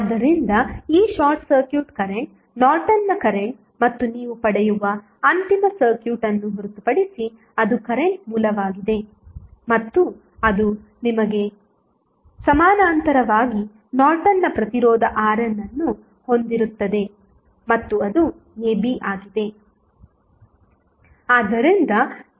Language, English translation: Kannada, So, this short circuit current will be nothing but the Norton's current and the final circuit which you will get would be the current source that is I n and in parallel with you will have the Norton's resistance R n and that is AB